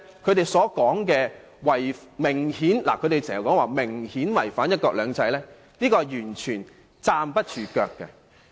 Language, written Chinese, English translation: Cantonese, 由此可見，他們指方案明顯違反"一國兩制"的說法完全不成立。, This tells us that their accusing the co - location arrangement of having violated the principle of one country two systems is totally untenable